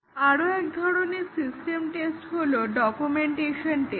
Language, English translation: Bengali, One more type of system test is the documentation test